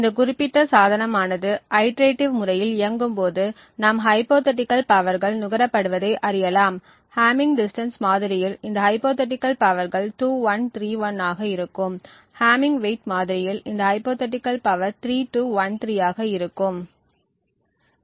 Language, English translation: Tamil, So in this way you see as this particular device is operating on in this iterative manner, we get a sequence of hypothetical powers that are consumed, this hypothetical power in the hamming distance model would be 2 1 3 1 and so on, in the hamming weight model this hypothetical power would be 3 2 1 3 and so on